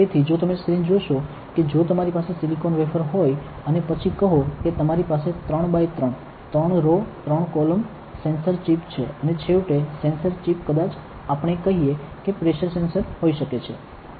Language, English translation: Gujarati, So, if you see the screen if you have silicon wafer and then you have let us say 3 by 3, 3 rows, 3 columns sensor chips right and finally, the sensor chip may be like let us say pressure sensors, ok